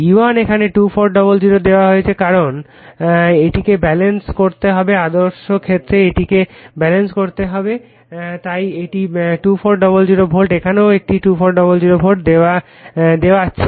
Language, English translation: Bengali, E1 is given herE2400 because it has to be balance ideal case it has to be balanced right so, it is 2400 volt here also it is showing 2400 volts right